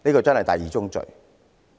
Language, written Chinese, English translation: Cantonese, 這是第二宗罪。, This is the second sin